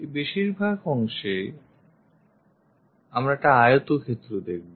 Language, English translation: Bengali, This much portion we will see as rectangle